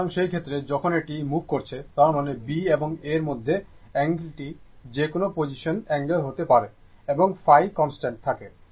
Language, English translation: Bengali, So, in that case, as this is moving when; that means, angle between B and A whatever may be the position angle phi will remain constant